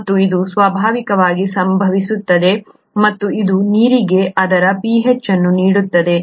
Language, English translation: Kannada, And this happens naturally, and this is what gives water its pH